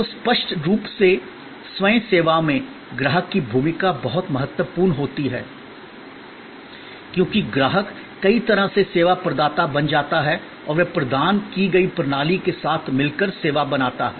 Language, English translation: Hindi, So, obviously in self service, the role of the customer is very critical, because customer becomes in many ways the service provider and he creates or she creates the service in conjunction with the system provided